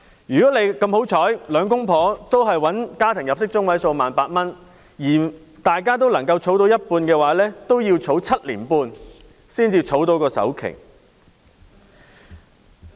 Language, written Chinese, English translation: Cantonese, 如果兩夫婦幸運地都賺取家庭入息中位數的 18,000 元，又能夠儲蓄收入的一半，都要7年半才可以儲蓄到首期。, For a couple who fortunately can both earn the median household income of 18,000 even if they save half of their income it still takes them 7.5 years to save up for the down payment